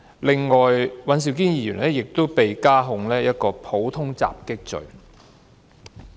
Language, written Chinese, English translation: Cantonese, 另外，尹兆堅議員亦都被加控一項普通襲擊罪。, Mr Andrew WAN has been further charged with the offence of Common Assault